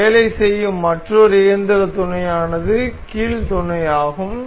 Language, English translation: Tamil, Another mechanical mate we will work on is hinge mate